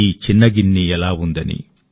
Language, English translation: Telugu, What is this little bowl